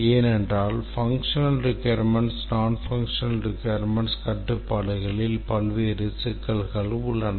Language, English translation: Tamil, Here various types of functional, non functional requirements, constraints are all mixed up